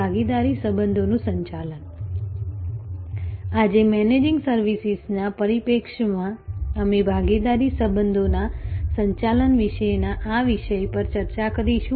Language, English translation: Gujarati, Today, from the Managing Services perspective, we will be discussing this topic about Managing Partner Relationships